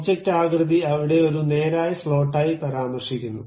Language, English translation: Malayalam, The object shape is clearly mentioned there as straight slot